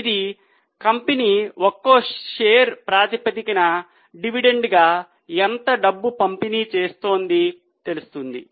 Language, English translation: Telugu, So, how much money is company distributing as a dividend which will be received on a per share basis